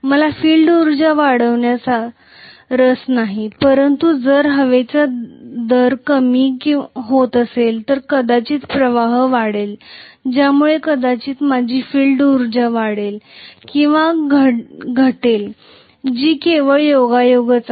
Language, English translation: Marathi, I am not interested in increasing the field energy but if the air gap is decreasing, maybe the flux will increase due to which maybe my field energy will increase or decrease that is just incidental